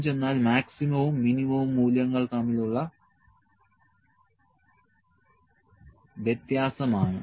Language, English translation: Malayalam, Range is our difference between the maximum and the minimum value